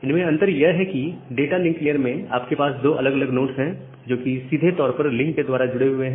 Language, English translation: Hindi, So, the difference is that in case of data link layer, you have two different nodes, which are directly connected via link